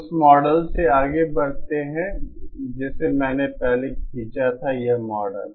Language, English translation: Hindi, Proceeding from the model that I had drawn previously, this model